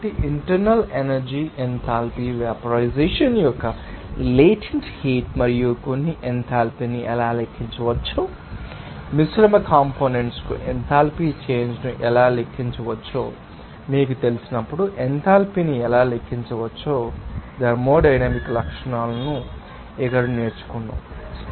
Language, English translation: Telugu, So, we have learned here some thermodynamic properties like internal energy enthalpy, latent heat of vaporization and also how this you know enthalpy can be calculated, how enthalpy change can be calculated for the mixture components, how enthalpy can be calculated while in a you know, specific process you need having more than 1 inlet and outlet streams, also internal energy how it can be calculated